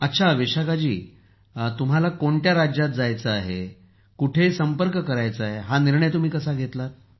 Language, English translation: Marathi, Ok Vishakha ji, how did you decide on the choice of the State you would go to and get connected with